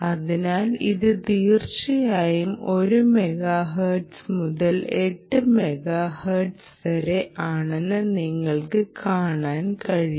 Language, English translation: Malayalam, so you can see that this is indeed one megahertz, right ah, down to eight mega hertz, right, ah, sorry, is it eight ah